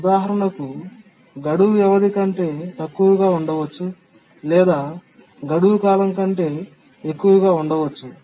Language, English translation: Telugu, For example, deadline may be less than the period or deadline may be more than the period